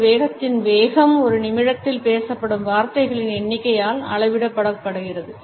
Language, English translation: Tamil, The speed of a speed is measured by the number of words which car is spoken with in a minute